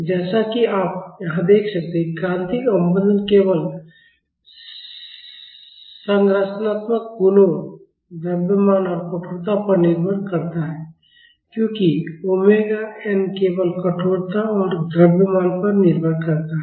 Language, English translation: Hindi, And, as you can see here the critical damping depends only upon the structural properties, the mass and stiffness because omega n depends only upon stiffness and mass